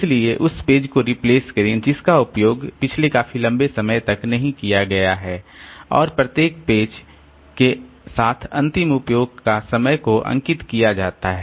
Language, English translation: Hindi, So, replace page that has not been used for the longest period of time and associate time of last use with each page